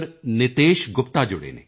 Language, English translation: Punjabi, Nitesh Gupta from Delhi…